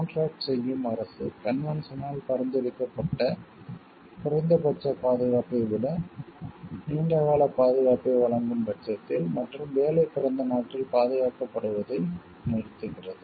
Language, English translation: Tamil, In case a contracting state provides for a longer term of protection, and the minimum prescribed by the convention and the work ceases to be protected in the country of origin